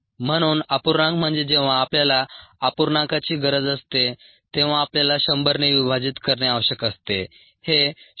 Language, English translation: Marathi, when we need the fraction, we need to divided by hundred